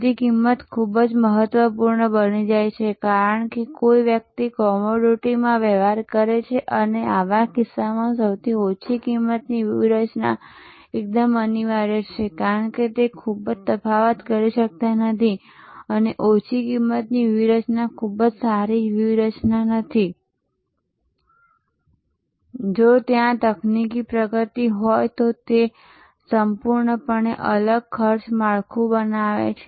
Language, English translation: Gujarati, So, price becomes very important, because one is dealing in commodity and in such a case low cost strategy is absolutely imperative, because you cannot very much differentiate and; Low cost strategies not a very good strategy,